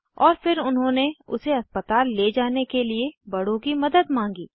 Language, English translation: Hindi, And then they sought the help of elders to shift him to the hospital